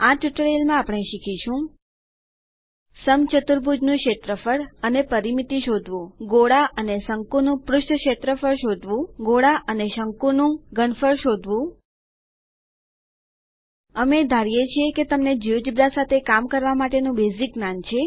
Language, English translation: Gujarati, In this tutorial, we will learn to find Area and perimeter of rhombus Surface area of sphere and cone Volume of sphere and cone We assume that you have the basic working knowledge of Geogebra